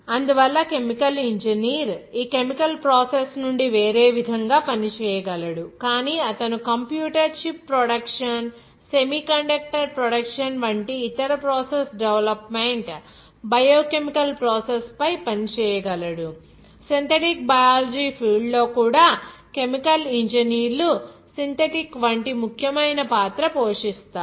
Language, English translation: Telugu, So, that is why this chemical engineer can work in a different way out of this chemical process, but he can work on other process development biochemical processes like computer chip production, semiconductor production, all those things even synthetic biology in that field also chemical engineers play an important role like synthetic